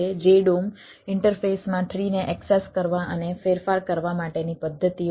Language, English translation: Gujarati, jdom interface has methods for accessing and modifying the tree right